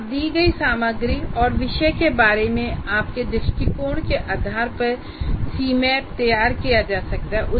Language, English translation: Hindi, The C map can be drawn based on the content given to you and are on your view of the subject